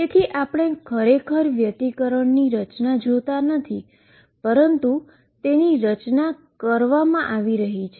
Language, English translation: Gujarati, So, we do not really see the interference pattern, but it is being formed